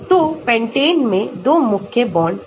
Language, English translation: Hindi, So, pentane has 2 key bonds